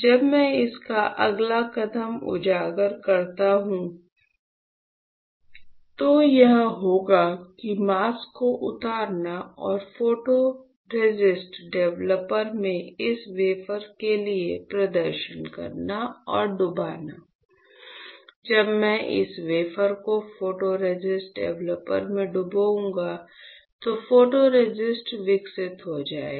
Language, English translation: Hindi, When I expose its next step would be to unload the mask and perform for and dip this wafer in photoresist developer; when I dip this wafer in photoresist developer what will happen, the photoresist will get developed